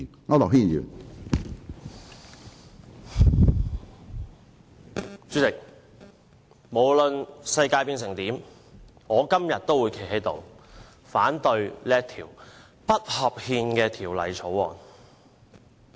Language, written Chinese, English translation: Cantonese, 主席，無論世界變成怎樣，我今天都會站起來，反對這項不合憲的《廣深港高鐵條例草案》。, President no matter what the world will become today I still rise to voice my opposition to such an unconstitutional Guangzhou - Shenzhen - Hong Kong Express Rail Link Co - location Bill the Bill